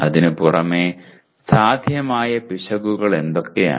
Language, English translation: Malayalam, In addition to that what are the possible errors